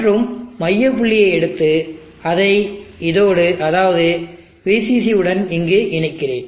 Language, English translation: Tamil, And that the centre point I will take out, so I will connect this here and this will be VCC